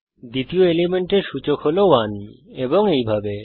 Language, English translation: Bengali, The index of the second element is 1 and so on